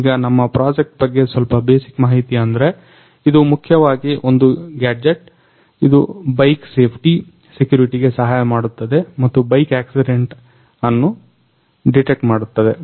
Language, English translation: Kannada, Now some basic information about our project is, this is basically a gadget which help in bike safety, security and also help to detect the bike accident